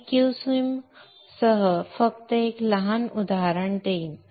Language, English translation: Marathi, I will just show one small example with QSim